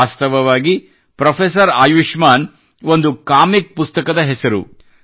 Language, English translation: Kannada, Actually Professor Ayushman is the name of a comic book